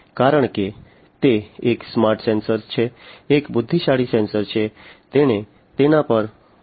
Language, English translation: Gujarati, Because it is a smart sensor, because it is an intelligent sensor, it has to do things on it is own